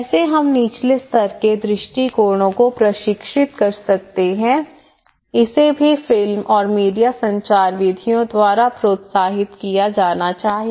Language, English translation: Hindi, How we can train at the bottom level approaches also the film and media communication methods should be encouraged